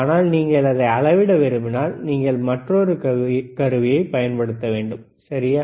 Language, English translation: Tamil, But if you want to measure it, then you have to use another equipment, all right